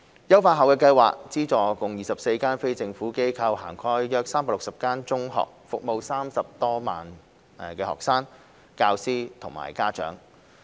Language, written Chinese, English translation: Cantonese, 優化後的計劃資助共24間非政府機構，涵蓋約360間中學，服務30多萬學生、教師及家長。, The enhanced Scheme supports a total of 24 NGOs covering about 360 secondary schools and serving over 300 000 students teachers and parents